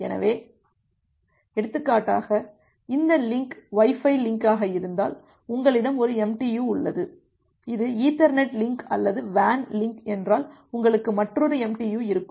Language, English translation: Tamil, So, for example, if this link is the Wi Fi link, you have one MTU, if this is an Ethernet link or a WAN link you will have another MTU